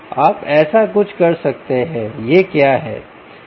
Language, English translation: Hindi, you could move on to something like this